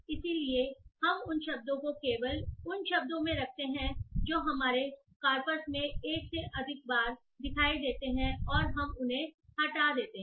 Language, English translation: Hindi, So we keep those words only those words which appear more than once in our corpus and we remove them